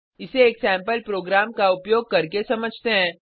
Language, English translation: Hindi, Let us understand the same using a sample program